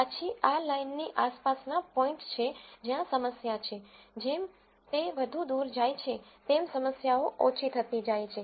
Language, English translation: Gujarati, Then points around this line is where the problem is, as they go further away the problems are less